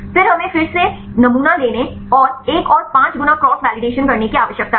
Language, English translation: Hindi, Then we need to sample resample again and take another 5 fold cross validation